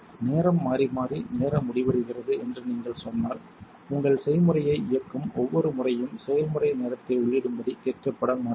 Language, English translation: Tamil, If you said it is terminated by time to variable time, you will not be prompted to enter the process time each time you run your recipe